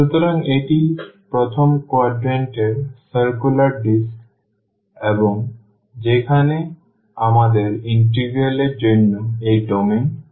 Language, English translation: Bengali, So, that is the circular disk in the first quadrant and where we have this domain for the integral